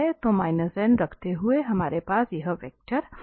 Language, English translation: Hindi, So this is the position vector for this 2